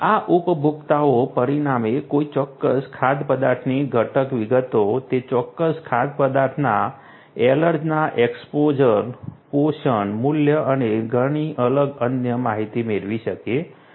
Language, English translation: Gujarati, These consumers consequently can get information about the ingredient details of a particular food item, allergens exposure of that particular food item, nutrition, value and many different other Information